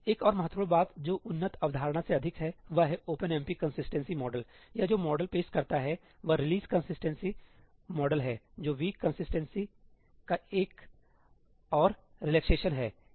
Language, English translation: Hindi, Another important thing which is more of an advanced concept is that the OpenMP consistency model, the model that it offers is the Release Consistency model, that is a further relaxation of weak consistency